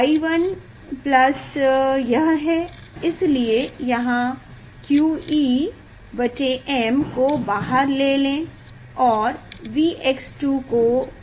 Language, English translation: Hindi, y 1 plus this, so here q E by m is common and V x square is common